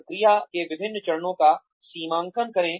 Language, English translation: Hindi, Demarcate different steps of the process